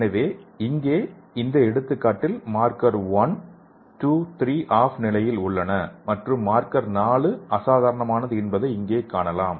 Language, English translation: Tamil, So here in this example you can see here the marker 1, 2, 3 are in off condition, and marker 4 is subnormal